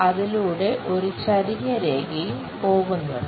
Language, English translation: Malayalam, There is something like an inclined line also goes